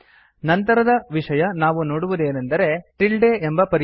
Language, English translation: Kannada, The next thing we would see is called tilde substitution